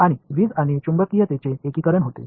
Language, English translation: Marathi, And the unification of electricity and magnetism happens